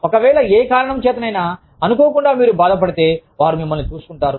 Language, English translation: Telugu, If, for whatever reason, inadvertently, you get hurt, they will look after you